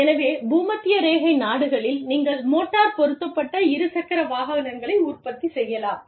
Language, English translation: Tamil, So, in the equatorial countries, your organization could be manufacturing, motorized two wheelers